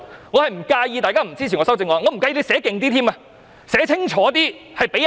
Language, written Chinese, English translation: Cantonese, 我不介意大家不支持我的修正案，也不介意罰則更重。, I do not mind Members not supporting my amendment nor do I mind heavier penalties